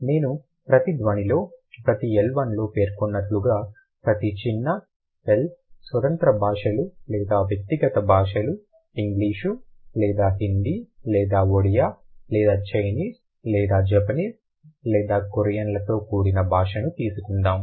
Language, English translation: Telugu, As I have mentioned, every sound, every L one, let's say the language with a small L, independent languages or individual languages, English or Hindi or Rodea or Chinese or Japanese or Korean